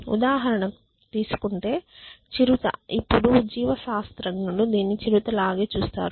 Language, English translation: Telugu, So, if you take for example, the cheetah now the cheetah if biologist want to look at it is